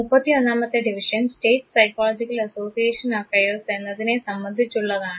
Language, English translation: Malayalam, 31st division basically has to do with state psychological association affairs